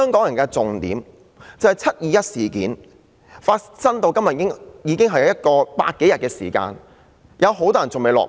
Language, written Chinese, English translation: Cantonese, 然而，重點是"七二一"事件至今已有百多天，有很多人尚未落網。, Still the crux of the problem is that over a hundred days have lapsed since the 21 July incident many people are yet to be arrested